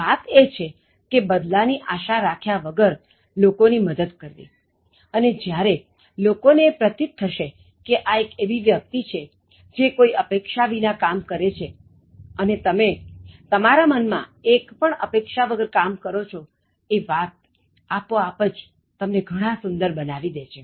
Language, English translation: Gujarati, The point is to help people without expecting anything in return and when people realize that you are a person who is doing things, without expecting anything and you are doing things with no expectation in your mind so it will automatically make you very attractive